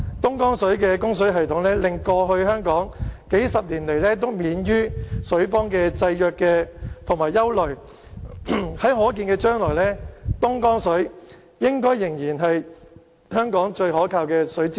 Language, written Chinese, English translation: Cantonese, 東江供水系統令香港過去數十年來都免於水荒的制約和憂慮，在可見的將來，東江水應該仍是香港最可靠的水資源。, The development of Dongjiang water supply system has spared Hong Kong from the constraint and anxiety of having water famine over the past few decades . In the foreseeable future Dongjiang water should continue to be the most reliable water resource for Hong Kong